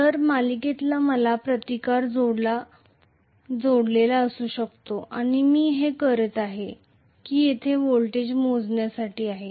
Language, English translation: Marathi, So, I may have a resistance connected in the series and what I am doing is to measure the voltage here